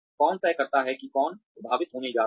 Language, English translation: Hindi, Who decides who is going to be affected